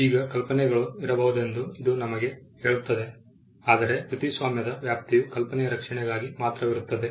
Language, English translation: Kannada, Now, this tells us that there could be ideas, but the scope of the copyright is only for the protection of the idea